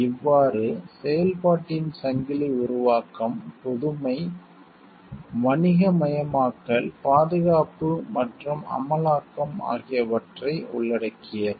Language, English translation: Tamil, So, the chain of activity includes creation, innovation, commercialization, protection and enforcement